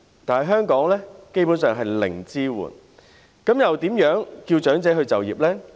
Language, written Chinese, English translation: Cantonese, 但是，在香港基本上是零支援，試問又如何叫長者再就業呢？, However in Hong Kong basically there is zero support so how can we call on the elderly people to take up employment again?